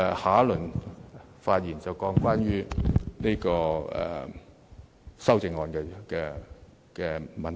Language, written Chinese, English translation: Cantonese, 下次發言時，我會談談修正案的問題。, In my next speech I will comment on the amendments